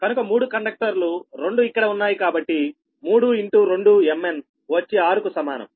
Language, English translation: Telugu, so three conductors, two are here, three into two, m